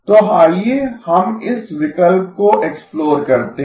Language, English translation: Hindi, So let us explore this option